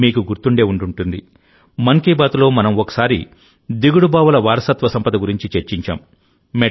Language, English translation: Telugu, You will remember, in 'Mann Ki Baat' we once discussed the legacy of step wells